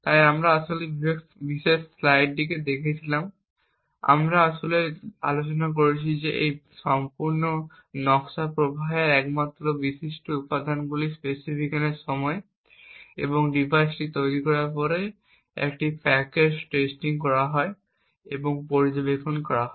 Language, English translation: Bengali, So we in fact had looked at this particular slide wherein we actually discussed that the only trusted components in this entire design flow is at the time of specification and after the device is fabricated and there is a packaged testing that is done and monitoring